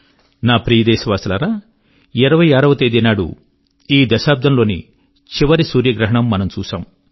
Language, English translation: Telugu, My dear countrymen, on the 26th of this month, we witnessed the last solar eclipse of this decade